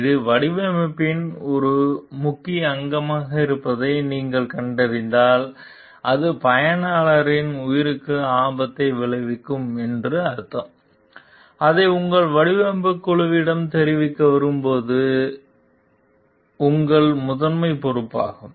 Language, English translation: Tamil, When you find like it is an important part of the design where extensive cracking, means it could risk the life of the users it is a part of your primary responsibility to like report it to your design team